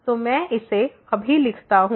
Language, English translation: Hindi, So, let me just write it